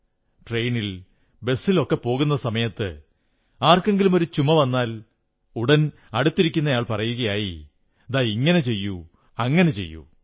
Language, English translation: Malayalam, While travelling in the train or the bus if someone coughs, the next person immediately advises a cure